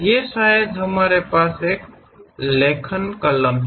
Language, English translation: Hindi, Or perhaps we have a writing pen